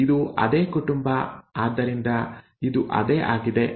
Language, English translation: Kannada, It is the same family so this is what it was, right